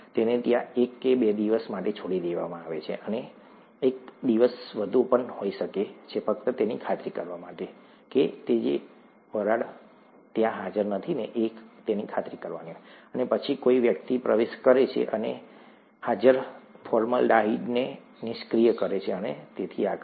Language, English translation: Gujarati, It is left there for a day or two, and may be a day more, just to make sure that none of the vapours are present, and then somebody gets in and neutralizes the present formaldehyde and so on so forth